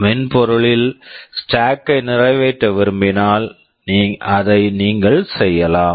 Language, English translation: Tamil, If you want to implement stack in software, you can do it